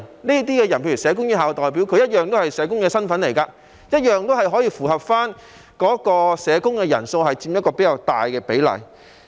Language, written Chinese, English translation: Cantonese, 這些人如社工院校的代表，同樣是社工身份，同樣可以符合社工人數佔較大比例的情況。, These people such as the representatives of institutes of social workers are also social workers so the requirement of a higher proportion of social workers on the Board can also be met